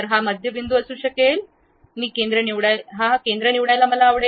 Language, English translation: Marathi, This might be the center point, I would like to pick pick center